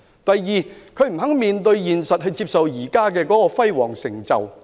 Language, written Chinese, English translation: Cantonese, 第二，他們不肯面對現實，接受現時這項輝煌成就。, Second they refuse to face the reality and accept this glorious achievement now